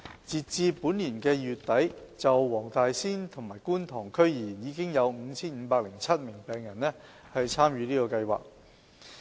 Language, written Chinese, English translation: Cantonese, 截至本年2月底，就黃大仙和觀塘區而言，已有 5,507 名病人參與這個計劃。, As of late February this year 5 507 patients from the Wong Tai Sin and Kwun Tong Districts have participated in this Programme